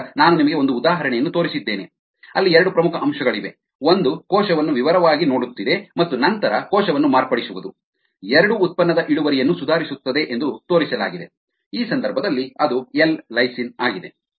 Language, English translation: Kannada, so i have shown you an example where the two major aspects one is looking at the cell in detail and then modify the cell are have both been ah shown to improve the yield of the product